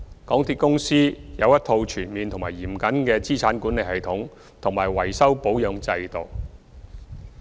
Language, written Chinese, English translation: Cantonese, 港鐵公司有一套全面及嚴謹的資產管理系統及維修保養制度。, MTRCL has comprehensive and rigorous asset management and maintenance systems